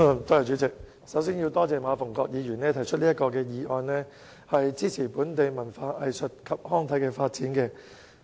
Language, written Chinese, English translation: Cantonese, 主席，首先我要感謝馬逢國議員提出這項"開拓場地，創造空間，支持本地文化藝術及康體發展"議案。, President first of all I have to thank Mr MA Fung - kwok for moving this motion on Developing venues and creating room to support the development of local culture arts recreation and sports